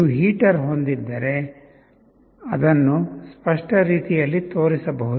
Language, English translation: Kannada, If you have a heater you can show it in a very clear way